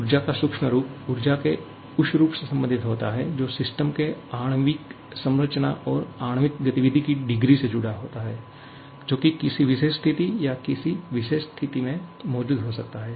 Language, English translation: Hindi, Now, this is the macroscopic form of energy, microscopic form of energy relates to the energy which is associated with the molecular structure of the system and the degree of molecular activity that may be present under a particular situation or at a particular state